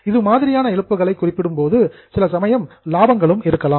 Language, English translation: Tamil, When I am referring to losses, it can also be profits sometimes